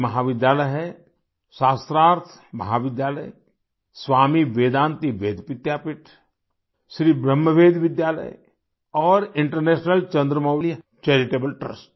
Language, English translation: Hindi, These colleges are Shastharth College, Swami Vedanti Ved Vidyapeeth, Sri Brahma Veda Vidyalaya and International Chandramouli Charitable Trust